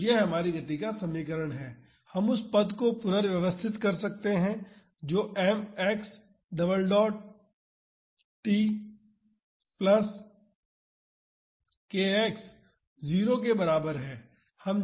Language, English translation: Hindi, So, this is our equation of motion we can rearrange the term it becomes m x double dot t plus k X is equal to 0